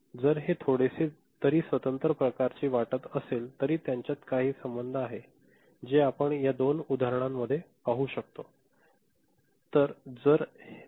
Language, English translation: Marathi, And though it looks a bit you know, independent kind of thing, but there is certain relationship between them, which we can see in this two examples ok